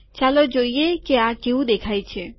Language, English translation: Gujarati, Let us see what this looks like